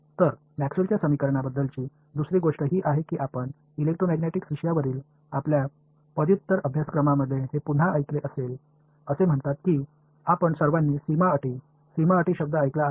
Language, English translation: Marathi, So, the other thing about Maxwell’s equations is that you would have again heard this in your undergraduate course on electromagnetic says that, you all heard the word boundary conditions, boundary conditions right